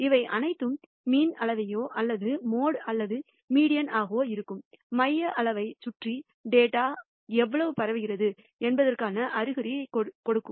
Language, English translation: Tamil, All of these give you indication of how much the data is spread around the central measure which is the mean or the mode or the median as the case may be